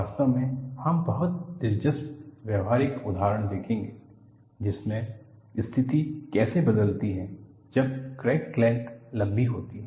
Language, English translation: Hindi, In fact, we would see very interesting practical examples, in which, how the situation changes, when the crack length is longer